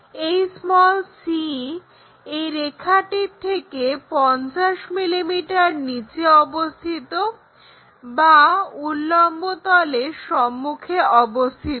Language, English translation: Bengali, And c is 50 mm below that line or in front of vertical plane, locate 50 mm here this is c